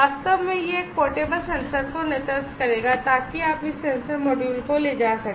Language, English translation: Hindi, In fact, that will lead to a portable sensor so you can carry this sensor module